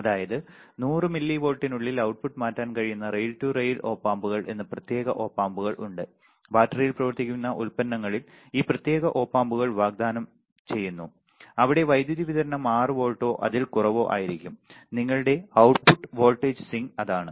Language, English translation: Malayalam, That means, that there are special Op Amps called a rail to rail Op Amps that can swing the output within 100 milli volts, these special Op Amps are offered used in a battery operated products where the power supply may be 6 volts or less got it that is what your output voltage swing